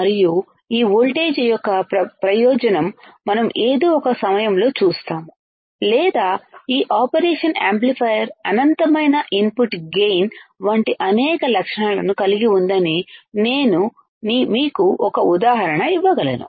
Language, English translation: Telugu, And there is an advantage of this voltage that we will see at some point or I can give you an example that this operation amplifier has a several characteristic like infinite input gain